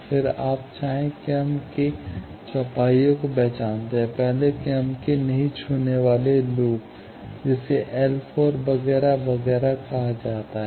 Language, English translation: Hindi, Then, you identify quadruple of first order loops, non touching first order loops, that is called L 4, etcetera, etcetera